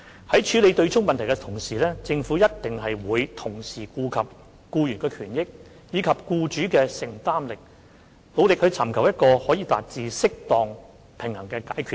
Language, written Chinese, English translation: Cantonese, 在處理對沖問題時，政府必然會同時顧及僱員的權益，以及僱主的承擔力，努力尋求一個可以達致適當平衡的解決方案。, When addressing the offsetting issue the Government will certainly take into account employees benefits and employers affordability and strive to work out a solution that strikes a proper balance